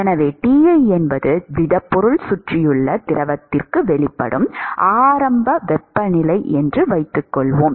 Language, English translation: Tamil, And so, supposing if Ti is the initial temperature at which the solid is being exposed to the fluid which is surrounding